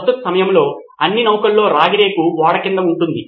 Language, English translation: Telugu, All ships during this time had a copper sheet, sheet underneath the ship